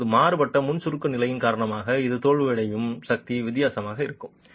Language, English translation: Tamil, Now because of the changed pre compression levels the force at which it fails will be different